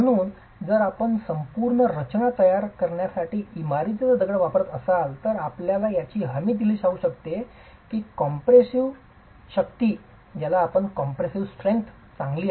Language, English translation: Marathi, So if you use building stone to construct an entire structure, you can be guaranteed that the compressive strength is good